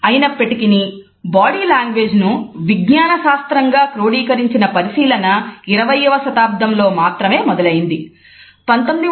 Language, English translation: Telugu, However the codified academic study into the science of body language has started only in the 20th century